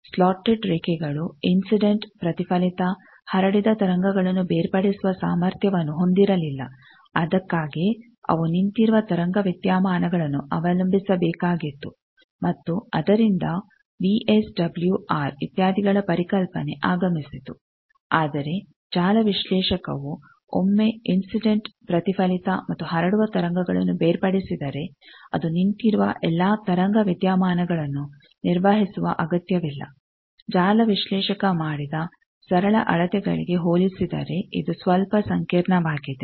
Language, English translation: Kannada, So, the measures is incident reflected and transmission wave separately and that is the beauty of network analyzer slotted line did not have capability to separate the incident reflected transmitted waves that is why they had to rely on the standing wave phenomena from that VSWR, etcetera concept came, but network analyzer, once it can separate incident reflected and transmitted waves it does not need to carry out all those standing wave phenomena which are a bit complicated compare to the simple measurements done by network analyzer